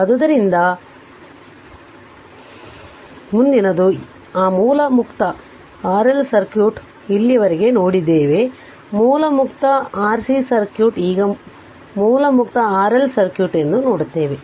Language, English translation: Kannada, So, next is that source free RL circuit, we saw till now we saw source free Rc circuit now will see is a source free RL circuit